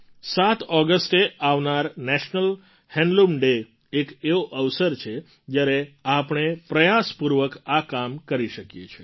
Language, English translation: Gujarati, The National Handloom Day on the 7th of August is an occasion when we can strive to attempt that